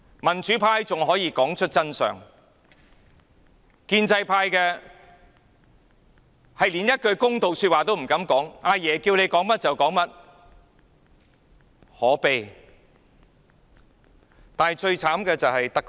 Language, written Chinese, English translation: Cantonese, 民主派仍能說出真相，但建制派連一句公道話也不敢說，"阿爺"要求他們說甚麼，他們便說甚麼，真可悲！, The Democratic Party is still willing to speak out the truth but the establishment camp dares not make a fair comment . They will say whatever grandpa asks them to say this is really miserable